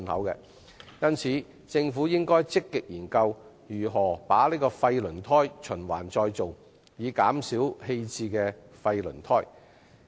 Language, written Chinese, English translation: Cantonese, 因此，政府應積極研究如何把廢輪胎循環再造，以減少棄置的廢輪胎數量。, As such the Government should proactively study ways to recycle waste tyres in order to reduce the quantity of abandoned waste tyres